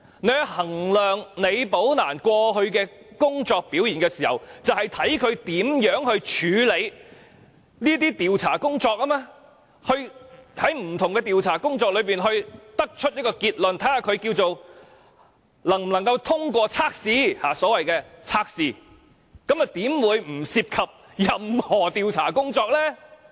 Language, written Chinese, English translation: Cantonese, 在衡量李寶蘭過去的工作表現時，正是從她如何處理調查工作，就不同調查工作得出一個結論，評定她能否通過測試，那麼又怎會不涉及任何調查工作呢？, When an assessment is conducted on the past performance of Rebecca LI a review should be made on how she handled the investigation of various cases and drew conclusions from the investigation results for such cases so as to determine if she can pass the test . Thus how can the assessment not related to any investigation work undertaken by Ms LI?